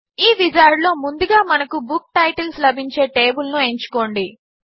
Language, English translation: Telugu, In this wizard, let us first, choose the table from where we can get the book titles